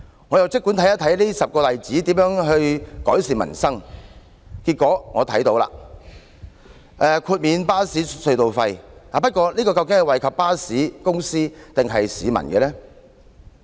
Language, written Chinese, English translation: Cantonese, 我姑且看看這10個例子如何改善民生，結果我看到了：豁免巴士隧道收費，不過這項政策究竟是惠及巴士公司，抑或惠及市民呢？, Let me take a look at these 10 examples to see how they can improve the peoples livelihood . Eventually I see one the exemption of bus tunnel tolls . But will this policy benefit bus companies or the public?